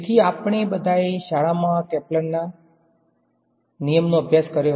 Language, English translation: Gujarati, So, we all studied these Kepler’s law in school right